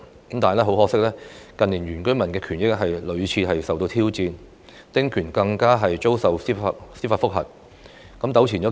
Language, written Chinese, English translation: Cantonese, 但很可惜，近年原居民的權益屢次受到挑戰，丁權更遭受司法覆核，有關的官司糾纏數年。, Regrettably the rights of the indigenous inhabitants of the New Territories have been repeatedly challenged and their small house concessionary rights were under judicial review with the relevant lawsuits lasting for a few years